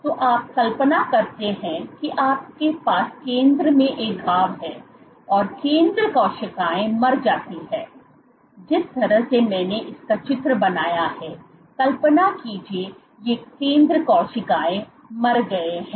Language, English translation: Hindi, So, you imagine you have a wound in the center so the center cells die, in the way that I have drawn imagine these center cells are dead